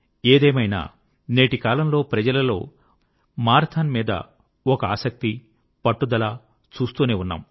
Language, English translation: Telugu, Anyway, at present, people have adopted and found a passion for the marathon